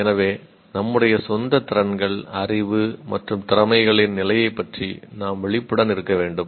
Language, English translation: Tamil, So what happens is we need to be aware of our own levels of skills and knowledge and abilities